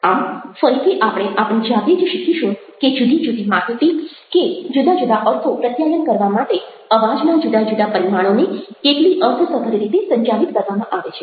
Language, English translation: Gujarati, so that's again something where we will learn by ourselves how significantly the different dimensions of voice managed to communicate different meanings or different information